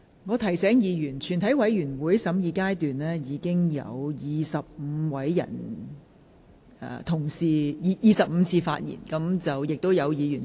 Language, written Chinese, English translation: Cantonese, 我提醒委員，在全體委員會的審議中，委員發言已達25次，當中有委員已是第四次發言。, I remind Members that 25 speeches have already been made in the committee of the whole Council . Some members have spoken four times